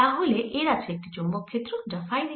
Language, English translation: Bengali, so this has a magnetic field going in the phi direction